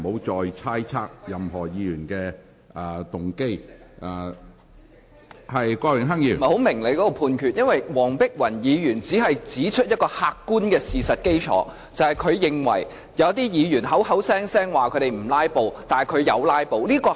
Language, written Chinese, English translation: Cantonese, 主席，我不明白你的裁決，黃碧雲議員只是指出客觀事實，即她認為有些議員聲稱不"拉布"，但事實上卻有"拉布"。, President I do not understand your ruling . Dr Helena WONG has only pointed out an objective fact that is she considers that some Members have actually taken part in filibustering although they have alleged that they would not do so